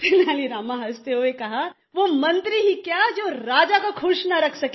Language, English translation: Hindi, " Tenali Rama laughingly said, "What good is that minister who cannot keep his king pleased